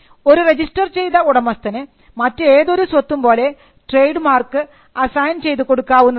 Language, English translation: Malayalam, The registered proprietor may assign or license the trademark as any other property